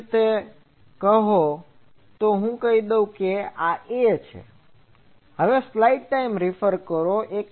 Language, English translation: Gujarati, In a similar fashion, so let me say this is A